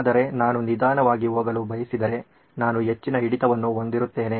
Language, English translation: Kannada, But if I choose to go slow, I will have a high retention